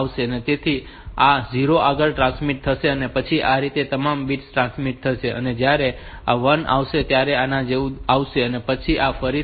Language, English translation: Gujarati, So, this one comes then it will be coming like this then after that this again the 7 bits or 7 bits is D 0 to D 6